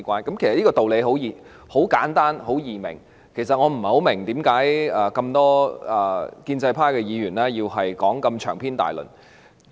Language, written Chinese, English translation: Cantonese, 這個道理其實很簡單易明，故此我不太明白為何多位建制派議員要如此長篇大論地發言。, The rationale is actually very simple and readily comprehensible so I do not quite understand why many Members of the pro - establishment camp have to give such lengthy speeches